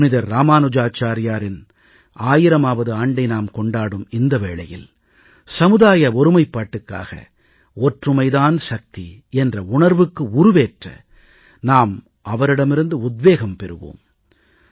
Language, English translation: Tamil, Now that we are celebrating the 1000th birth anniversary of Ramanujacharya, we should gain inspiration from him in our endeavour to foster social unity, to bolster the adage 'unity is strength'